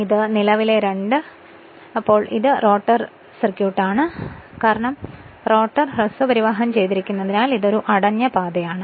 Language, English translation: Malayalam, And this is the current I 2 right so in this case your this is the rotor circuit because rotor is short circuited so it is a closed path right